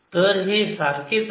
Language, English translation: Marathi, so this is same as the previous